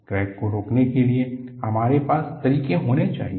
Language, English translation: Hindi, We must have methodologies to arrest the crack